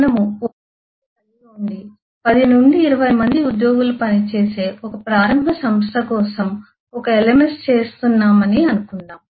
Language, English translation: Telugu, let us i shown that we are doing a lms for a company which works, which is start up, works out of a single room and has about 10 to 20 employees